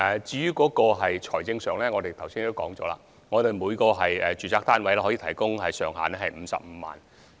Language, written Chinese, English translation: Cantonese, 至於財政方面，正如我剛才說，每個住宅單位的資助上限為55萬元。, Regarding financial arrangement as I have said earlier the ceiling funding is 550,000 per residential flat